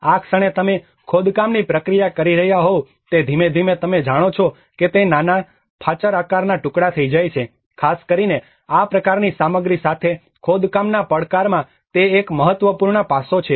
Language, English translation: Gujarati, The moment you are making an excavation process, it gradually brokes into small wedge shaped pieces you know, that is one of the important aspect in the excavation challenges and excavation challenge especially with this kind of material